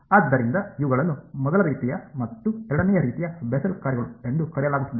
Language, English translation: Kannada, So these are called Bessel functions of the first kind and of the second kind ok